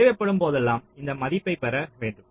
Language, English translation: Tamil, you will have to get those values whenever required